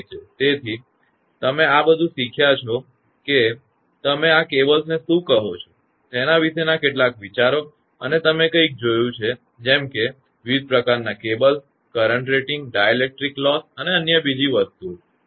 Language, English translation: Gujarati, So, what you have learnt; that some ideas regarding what you call this cables and your something you have seen that different type of cables and current rating, dielectric loss and all other things